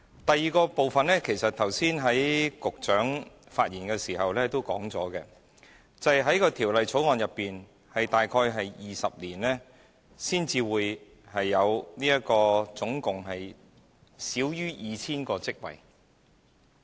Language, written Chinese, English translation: Cantonese, 第二，局長剛才發言時亦曾指出，根據《條例草案》，大約需時20年才可提供合共少於 2,000 個職位。, Second the Secretary has just said that following the passage of the Bill it will take as long as some 20 years to provide just fewer than 2 000 posts in total